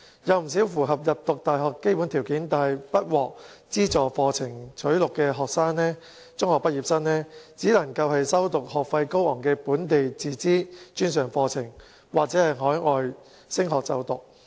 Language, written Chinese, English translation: Cantonese, 有不少符合入讀大學基本條件但不獲資助課程錄取的中學畢業生，只能修讀學費高昂的本地自資專上課程或往海外升學。, Quite a number of secondary school leavers who have met minimum requirements for university admission but have not been admitted to funded programmes can only pursue local self - financing post - secondary programmes which charge exorbitant tuition fees or study abroad